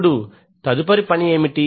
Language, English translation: Telugu, Now, what is the next task